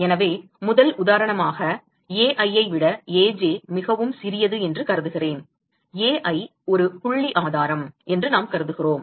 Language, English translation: Tamil, So, as a first example I will assume that Ai is much smaller than Aj, we assume that Ai is a point source